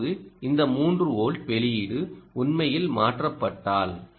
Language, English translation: Tamil, now if this three volt output actually ah, ah is changed because of the